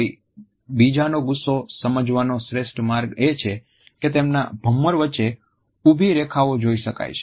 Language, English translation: Gujarati, The best way to read anger and someone else is to look for vertical lines between their eyebrows